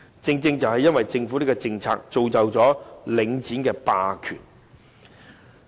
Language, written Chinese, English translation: Cantonese, 正正是由於政府這政策，結果造成領展的霸權。, It is precisely this policy of the Government which has led to the hegemony of Link REIT